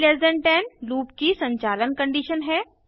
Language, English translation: Hindi, i10 is the loop running condition